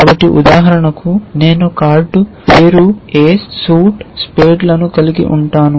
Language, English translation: Telugu, So, I can have for example, card, name, ace, suit, spades